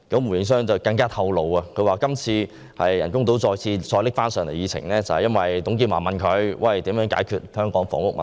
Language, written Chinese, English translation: Cantonese, 胡應湘更透露，今次人工島方案再次被提上議程，是由於董建華問他如何解決香港的房屋問題。, Gordon WU also revealed that the artificial islands project was put on the agenda again all because TUNG Chee - hwa asked him how to tackle the housing problem in Hong Kong